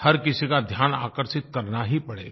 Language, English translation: Hindi, Everyone's attention will have to be drawn